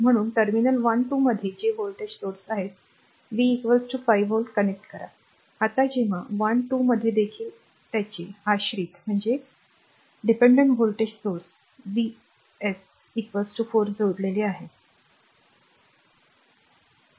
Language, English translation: Marathi, So, across terminal 1 2 that is voltage sources connect V is equal to 5 volt, now when across 1 2 also it dependent voltage source is connected V s is equal to 4 V